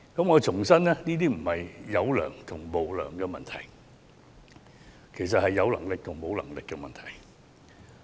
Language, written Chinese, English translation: Cantonese, 我想重申，這並非"有良"或"無良"的問題，而是"有能力"和"沒有能力"的問題。, I wish to reiterate that this is not about being unscrupulous or not . Rather this is about having the means or not